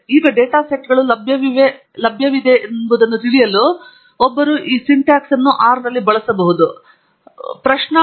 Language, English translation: Kannada, Now, to know what data sets are available, one could use this syntax in R